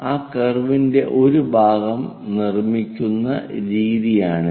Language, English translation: Malayalam, This is the way we construct part of that curve